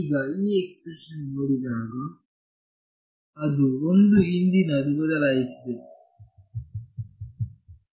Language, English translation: Kannada, Now, when I look at this expression that has something changed one past and one